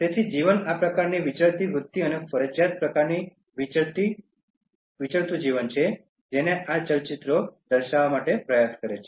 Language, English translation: Gujarati, So, life is likely to go by this kind of nomadic tendency and a compelled kind of nomadic life which these movies try to depict